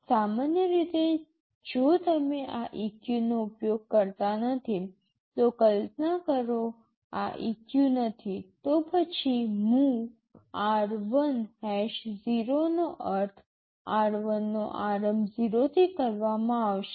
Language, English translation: Gujarati, Normally if you do not use this EQ, just imagine this EQ is not there, then MOV r1,#0 means, r1 is initialized to 0